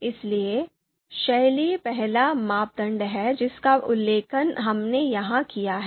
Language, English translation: Hindi, So style is the you know first criteria that we have mentioned here